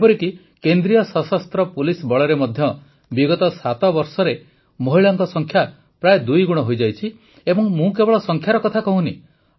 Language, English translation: Odia, Even in the Central Armed Police Forces, the number of women has almost doubled in the last seven years